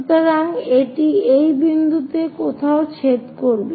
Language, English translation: Bengali, So, it will be going to intersect somewhere at this point